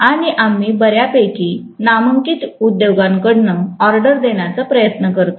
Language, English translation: Marathi, And we try to order it from fairly renowned industries, right